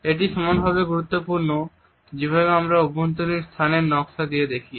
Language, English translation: Bengali, It is also equally important in the way we look at the space design of the interior